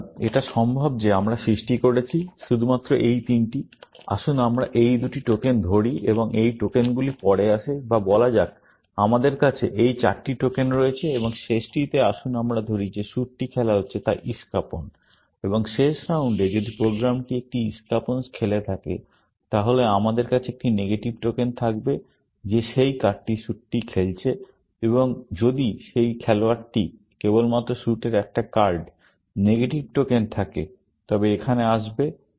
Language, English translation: Bengali, So, it is possible that we have created, only these three; let us say these two tokens, and this tokens come in later, or let us say we have these four tokens, and in the last; and let us say that the suit being played is spades, and in the last round, if the program played a spade, then we will have a negative token of saying that that card has been played by the suit, and if that player had only one card of the suit, there is the negative token, will come here